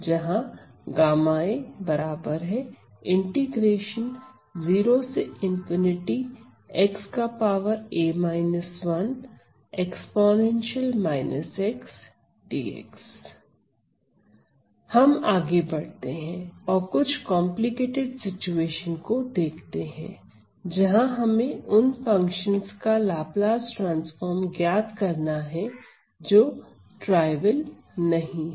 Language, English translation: Hindi, So, continuing let us look at slightly more complicated situation where we have to calculate the Laplace transform of a function which is not very trivial